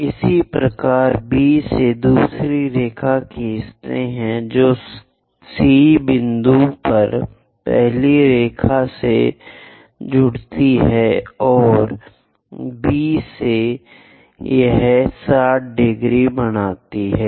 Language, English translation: Hindi, Similarly from B draw another line which joins the first line at C point, and from B this also makes 60 degrees